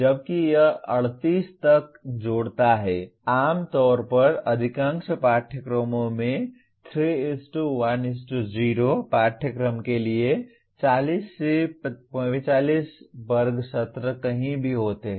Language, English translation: Hindi, While it adds up to 38, generally most of the courses have anywhere from 40 to 45 class sessions for a 3:1:0 course